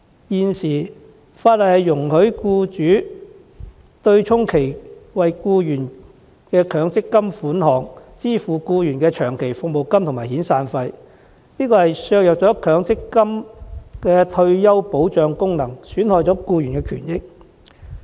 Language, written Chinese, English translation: Cantonese, 現行法例容許僱主以其為僱員作出的強積金供款，支付僱員的長期服務金和遣散費，此舉削弱強積金的退休保障功能，損害僱員權益。, Under the existing legislation employers are allowed to use their MPF contributions for employees to pay for the latters long service payments and severance payments thus undermining the function of MPF as a retirement security facility and hurting the rights and interests of employees